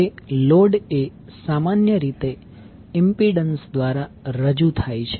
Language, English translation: Gujarati, Now, the load is generally represented by an impedance